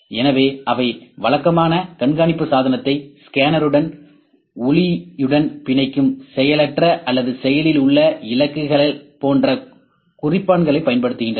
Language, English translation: Tamil, So, they usually use markers such as passive or active targets that optically bind the tracking device to the scanner